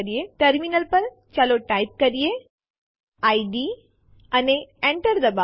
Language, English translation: Gujarati, At the terminal, let us type id and press Enter